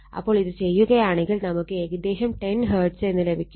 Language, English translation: Malayalam, So, this will be approximately 10 hertz